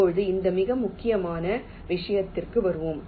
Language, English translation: Tamil, ok, now let us come to this very important thing